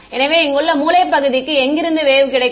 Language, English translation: Tamil, So, corner region over here where will it get the wave from